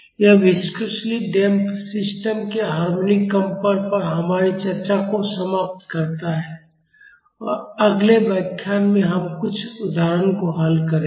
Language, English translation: Hindi, This concludes our discussion on harmonic vibrations of viscously damped systems in the next lecture we will solve some examples